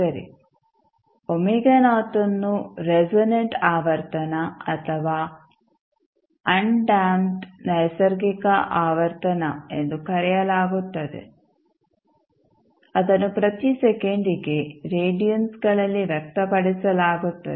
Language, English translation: Kannada, Well, omega not is known as the resonant frequency or undamped natural frequency of the system which is expressed in radians per second